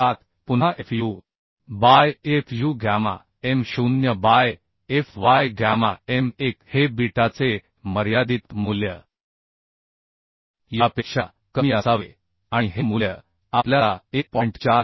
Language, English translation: Marathi, 307 Again fu by fu gamma m0 by fy gamma m1 will be the limiting value of beta beta should be less than this and this value we are getting 1